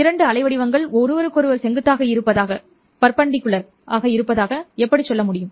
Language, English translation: Tamil, How do I say two waveforms are perpendicular to each other